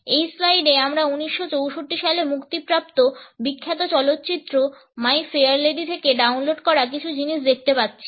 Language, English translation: Bengali, In this slide we look at a same downloaded from the famous movie My Fair Lady which was released in 1964